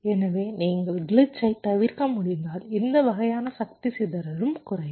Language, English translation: Tamil, so if you can avoid glitch, this kind of power dissipation will also go down